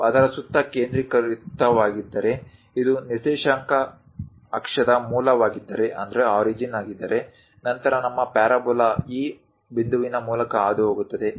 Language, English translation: Kannada, If we are focusing centred around that, if this is the origin of the coordinate axis; then our parabola pass through this point